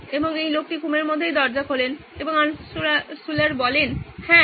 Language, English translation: Bengali, And this guy sleepily opening the door and Altshuller said, Yes